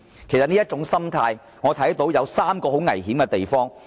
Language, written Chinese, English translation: Cantonese, 我看到這種心態其實會導致三大危險。, I can see that this mentality will entail three major risks